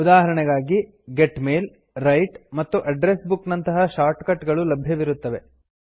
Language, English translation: Kannada, For example, there are shortcut icons for Get Mail, Write, and Address Book